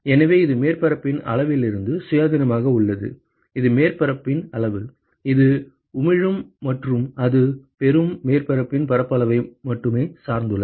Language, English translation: Tamil, So, it is independent of the size of the surface area, which is size of the surface, which is emitting and it depends only on the surface area of the receiving surface